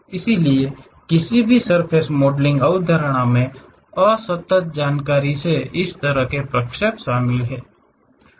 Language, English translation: Hindi, So, any surface modelling concept involves such kind of interpolation from the discrete information